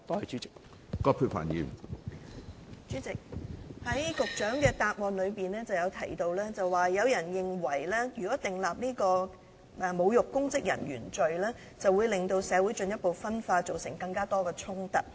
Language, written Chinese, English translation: Cantonese, 主席，局長在主體答覆中提到，有人認為如果訂立"侮辱執法的公職人員罪"，會令社會進一步分化，造成更多衝突。, President as stated in the Secretarys reply some people opine that to legislate for the offence of insulting public officers enforcing the laws will cause further social division and create more conflicts